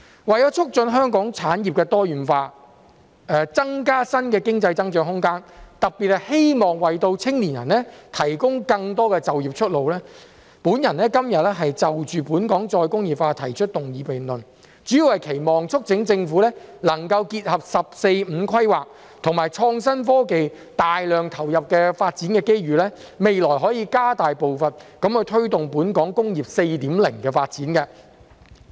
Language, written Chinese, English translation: Cantonese, 為了促進香港產業多元化、增加新的經濟增長空間，特別希望為青年人提供更多就業出路，我今天就"本港再工業化"提出議案辯論，主要是期望及促請政府能夠結合"十四五"規劃及創新科技大量投入的發展機遇，未來可以加大步伐，推動本港"工業 4.0" 的發展。, In order to promote industrial diversification in Hong Kong create new room for economic growth and in particular to provide more employment opportunities for young people I propose a motion debate on Re - industrialization of Hong Kong today . By means of this motion debate I mainly hope to urge the Government to consolidate the development opportunities arising from the 14th Five - Year Plan and the massive investment in innovation and technology . In addition the pace of promoting the development of Industry 4.0 in Hong Kong can be stepped up in the future